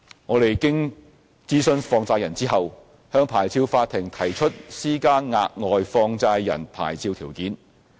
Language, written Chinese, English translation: Cantonese, 我們經諮詢放債人後，向牌照法庭提出施加額外放債人牌照條件。, After consultation with money lenders we have proposed to the Licensing Court the implementation of additional licensing conditions on money lender licences